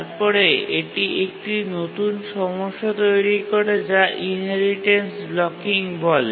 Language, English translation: Bengali, But then it creates a new problem which is called as the inheritance blocking